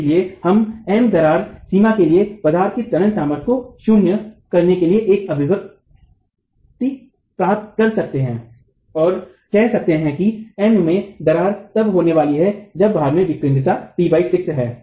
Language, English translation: Hindi, Therefore, we can get an expression for M crack limiting the tensile strength of the material to 0 and saying that m crack is going to occur when the load has an eccentricity E by 6